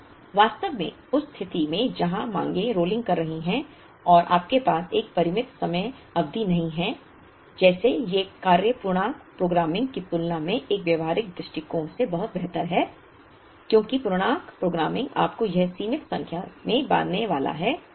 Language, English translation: Hindi, So, in fact in the situation where the demands are rolling and you do not have a finite time period so, like these work much better than integer programming from a practicability point of view because integer programming is going to bind you to a finite number of time periods